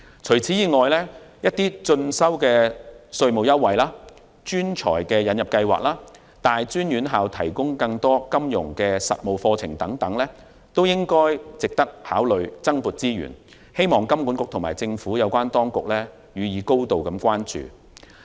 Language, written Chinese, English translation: Cantonese, 此外，鼓勵進修的稅務優惠、專才引入計劃及大專院校提供更多金融實務課程等措施也值得考慮增撥資源，希望金管局及政府有關當局予以高度關注。, In addition measures such as tax concessions to encourage self - education admission schemes for talents and professionals and more practical financial courses in tertiary institutions are also worth consideration for allocation of additional resources . I hope that HKMA and relevant government authorities will pay great attention to them